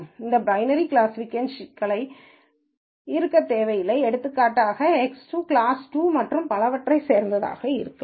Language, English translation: Tamil, This need not be a binary classification problem; for example, X 2 could belong to class 2 and so on